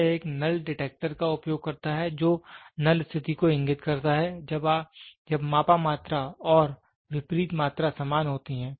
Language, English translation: Hindi, It uses a null detector which indicates the null condition when the measured quantity and the opposite quantities are the same